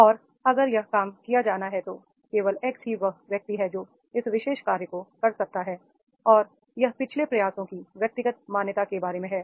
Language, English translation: Hindi, He knows his job very well and if this job is to be done only the X is the person who can do this particular job and that is about the individual's recognition of the past efforts